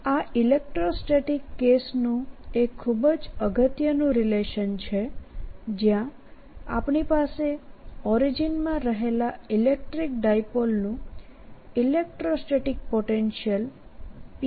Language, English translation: Gujarati, and this is as important relationship as we had for electrostatic case, where we had the electrostatic potential of a electric dipole sitting at this origin was equal to p dot r over r cubed